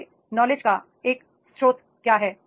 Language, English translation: Hindi, What is the source of your knowledge